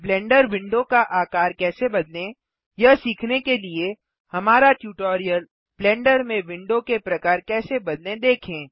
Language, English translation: Hindi, To learn how to resize the Blender windows see our tutorial How to Change Window Types in Blender Go to the top row of the Properties window